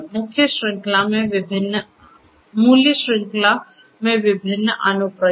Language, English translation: Hindi, Different applications across the value chain